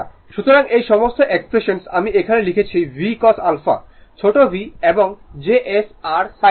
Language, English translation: Bengali, So, all these expression whatever I have written here V Cos alpha you put v small V and js your sin alpha